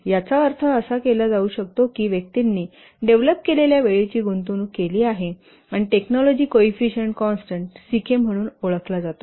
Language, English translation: Marathi, It can also be used to estimate the person years invested the time to develop and a constant called as technology coefficient constant CK